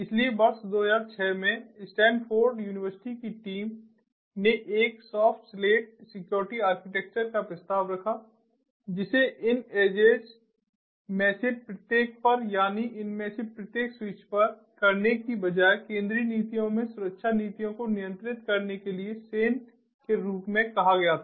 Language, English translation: Hindi, so in the year two thousand six, a stanford university team proposed a clean slate security architecture, which was termed as sane, to control the security policies in a centralized manner instead of doing it at each of these edges, that means each of these switches